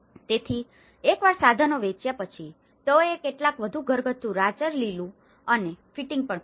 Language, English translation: Gujarati, So, once the tools have been sold, they even bought some more household furnishings and fittings